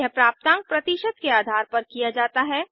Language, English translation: Hindi, This is done based on the score percentage